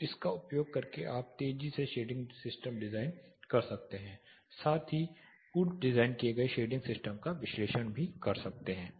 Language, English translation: Hindi, So, using that you can more quickly or seamlessly do the shading system design as well as analysis of a pre designed shading system